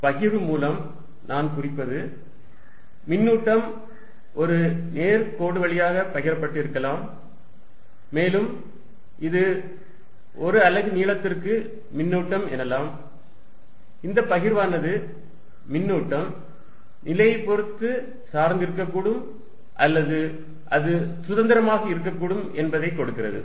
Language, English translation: Tamil, By distribution I mean it could be a charge distributed over a line, and this I will say charge per unit length will give me the distribution that charge could be dependent on which position and moreover it could be independent